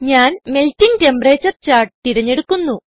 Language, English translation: Malayalam, I will select Melting Temperature chart